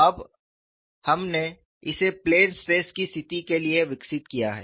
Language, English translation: Hindi, Now, we have developed this for the case of a plane stress situation